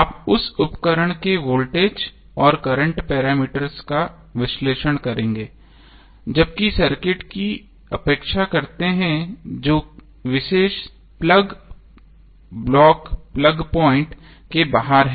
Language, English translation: Hindi, You will analyze the voltage and current parameters of that appliance, while neglecting the circuit which is outside the particular plug block plug point